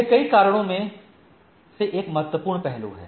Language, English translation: Hindi, And there are several reasons